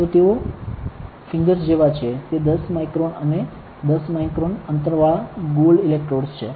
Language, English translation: Gujarati, So, these are like fingers, they are 10 micron with and 10 micron spacing gold electrodes ok